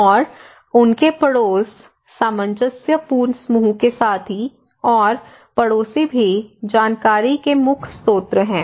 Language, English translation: Hindi, And also their neighbourhoods, so cohesive group partners and neighbours are the main source of informations